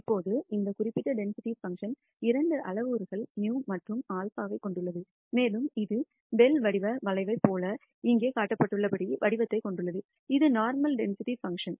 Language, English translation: Tamil, Now, this particular density function has two parameters mu and sigma and it has the shape as shown here like a bell shaped curve, which is the normal density function